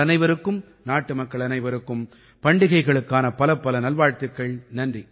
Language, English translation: Tamil, Wishing you all, every countryman the best for the fortcoming festivals